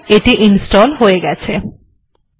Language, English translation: Bengali, Alright, it is done